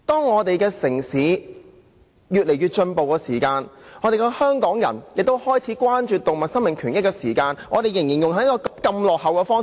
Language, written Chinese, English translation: Cantonese, 我們的城市越來越進步，香港人開始關注動物生命權益，政府卻仍採用人道毀滅這種落後的方法。, Our city is ever advancing and Hong Kong people have started to care about animals right to life . But the Government is still adopting this very backward method of euthanasia